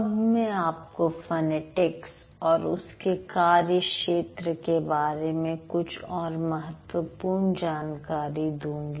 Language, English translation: Hindi, Now what I'll tell you a few more information related to phonetics and its broader domain